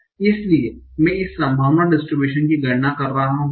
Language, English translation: Hindi, I want to compute this probability distribution